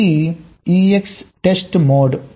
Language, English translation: Telugu, ok, this is extest mode